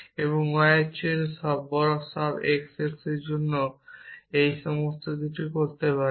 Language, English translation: Bengali, You can do things like this for all x x greater than y